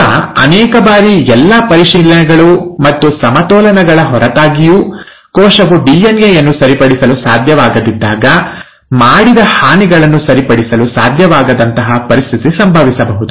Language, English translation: Kannada, Now, many a times, despite all the checks and balances in place, a situation may happen when the cell is not able to repair the DNA, it's not able to repair the damages done